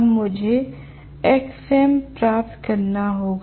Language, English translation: Hindi, Now, I have to get what is xm